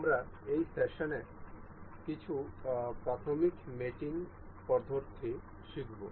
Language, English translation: Bengali, We will learn some elementary mating methods in this session